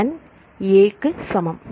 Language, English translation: Tamil, So, n equal to